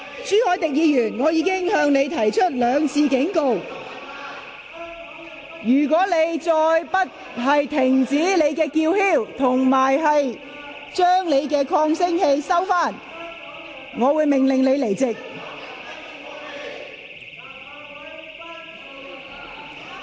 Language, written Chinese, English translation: Cantonese, 朱凱廸議員，我已兩次警告你，如果你仍然拒絕停止叫喊及關掉發聲裝置，我會命令你退席。, Mr CHU Hoi - dick I have warned you twice already . If you still refuse to stop shouting and turn off the sound device I will order you to leave the Chamber